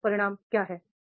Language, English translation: Hindi, So what happened